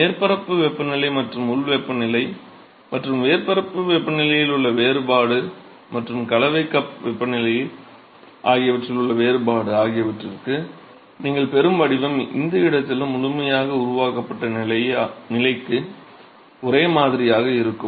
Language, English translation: Tamil, So, the profile that you will get for the difference in the surface temperature and the local temperature and the difference in the surface temperature and the mixing cup temperature that difference will be the same for at any location the fully developed regime